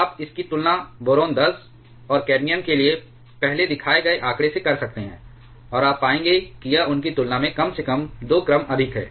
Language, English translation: Hindi, You can compare this with the figure shown for boron 10 and cadmium earlier, and you will find this is at least 2 order is higher compared to them